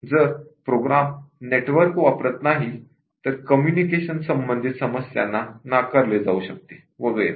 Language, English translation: Marathi, It does not use network communication related problems can be ruled out and so on